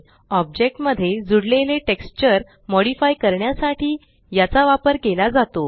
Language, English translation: Marathi, This is used to modify the texture added to an object